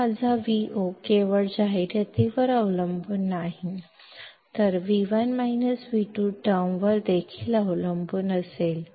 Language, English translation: Marathi, So, now my Vo will not only depend on Ad but V1 minus V2 term as well